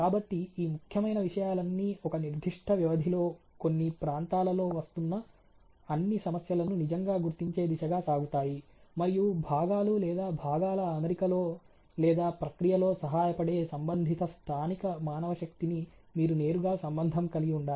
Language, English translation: Telugu, So, all these a important thinks go to works words really we identification all the problems coming in certain area on a given a period of time ok, and you have to directly relate the concerned local manpower which is assisting in fitment of the part or component or even the process ok